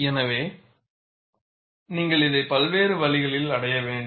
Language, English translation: Tamil, So, you have to achieve this by various means